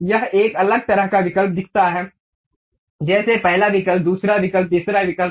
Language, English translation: Hindi, It shows different kind of options like first option, second option, third option